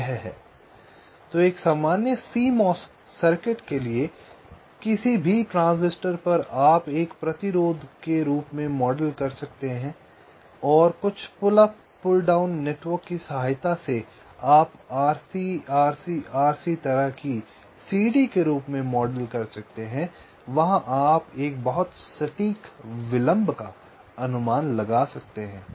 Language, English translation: Hindi, so for a general simo circuit, so any on transistoric and model as a resistance and some pull up and pull down network, any such things, you can model as ah r, c, r, c, r c kind of a ladder and there you can make a quite accurate estimate of the dealing